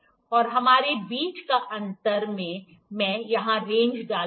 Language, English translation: Hindi, And we have the gap between I will put range here range